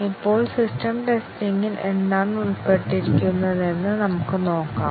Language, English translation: Malayalam, Now, let us see what is involved in system testing